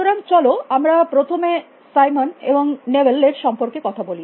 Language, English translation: Bengali, So, let us first talk a little bit about Simon and Newell